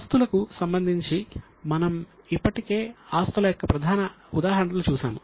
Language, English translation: Telugu, In the assets, we are already seeing the major examples of assets